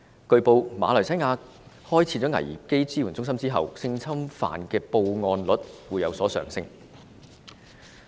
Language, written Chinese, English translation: Cantonese, 據報，馬來西亞開設危機支援中心後，性侵犯的報案率有所上升。, It is reported that after the crisis centre opened in Malaysia the reporting rate for sexual assault cases has increased